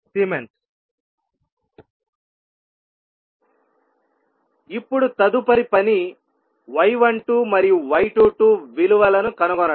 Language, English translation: Telugu, Now, next task is to find out the value of y 12 and y 22